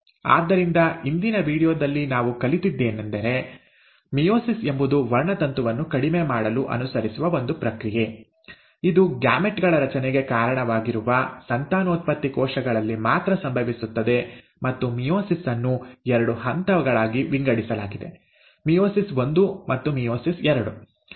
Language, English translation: Kannada, So what have we learnt in today’s video is that meiosis is a process which allows for reduction of chromosome, it happens only in the reproductive cells which are responsible for formation of gametes, and meiosis is divided into two stages, meiosis one and meiosis two